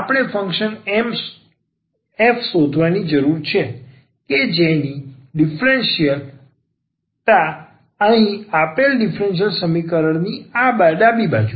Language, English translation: Gujarati, We need to find the function f whose differential is here this left hand side of the given differential equation